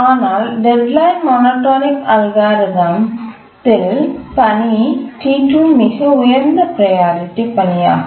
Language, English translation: Tamil, If you apply the rate monotonic algorithm, the task T1 is the highest priority task